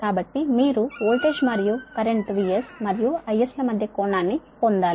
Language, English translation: Telugu, so you have to get the angle between voltage and current v